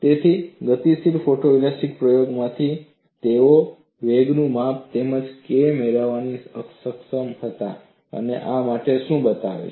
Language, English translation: Gujarati, So, from dynamic photo elastic experiments, they were able to get the measurement of velocity as well as K and what does this show